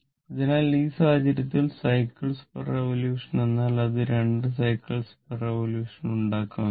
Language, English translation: Malayalam, So, in this case, your number of cycles per revolution means it will make 2 cycles per revolution